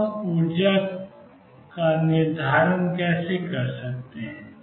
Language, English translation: Hindi, Now, how do we determine the energy